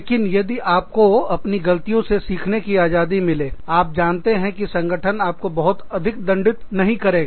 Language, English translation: Hindi, But, if you are given that freedom, to learn from your mistakes, you know, if the organization, does not penalize you, too heavily for your mistakes